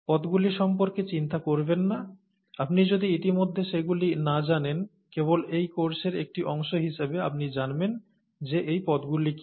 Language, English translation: Bengali, Please do not worry about the terms, you will know what those terms are only as a part of this course, if you do not already know them